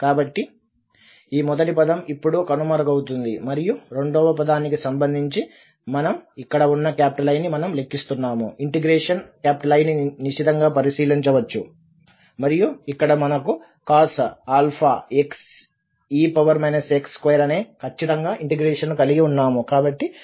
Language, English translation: Telugu, So, this first term will disappear now and regarding the second term so we can take a close look at this I there, the integral I which we are evaluating and here we have exactly the integral I there with cos alpha x e power minus a x square